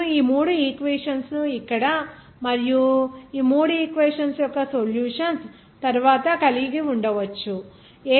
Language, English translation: Telugu, You can have these three equations here and after the solution of these three equations